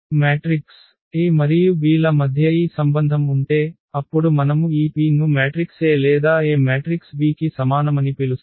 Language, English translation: Telugu, If we have this relation between the between the matrix A and B, then we call this P is similar to the matrix A or A is similar to the matrix B